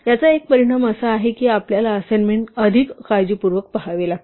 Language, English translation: Marathi, One consequence is this is that we have to look at assignment more carefully